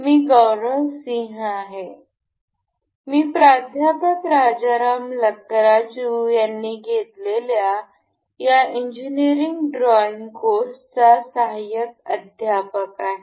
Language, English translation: Marathi, I am Gaurav Singh, I am a teaching assistant for this Engineering Drawing Course taken by Professor Rajaram Lakkaraju